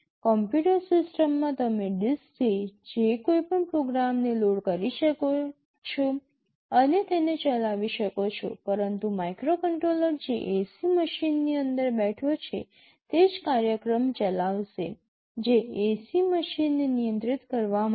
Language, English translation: Gujarati, In a computer system you can load any program you want from the disk and run it, but a microcontroller that is sitting inside an AC machine will only run that program that is meant for controlling the AC machine